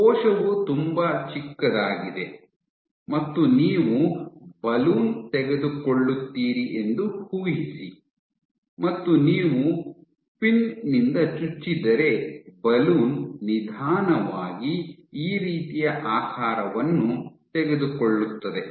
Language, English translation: Kannada, So, it is possible only because the cell is very small imagine that you take a balloon and you poke from inside the balloon you poke with the pin then what you will have is the balloon will slowly take this kind of a shape